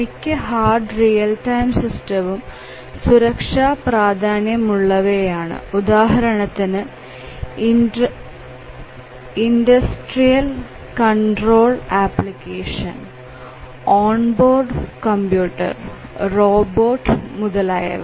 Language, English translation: Malayalam, And many hard real time systems are safety critical for example, the industrial control applications, on board computers, robots etcetera